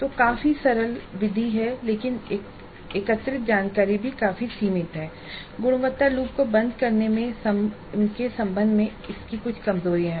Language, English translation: Hindi, So fairly simple method but the information gathered is also quite limited and it has certain weaknesses with respect to closing the quality loop